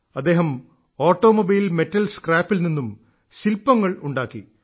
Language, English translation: Malayalam, He has created sculptures from Automobile Metal Scrap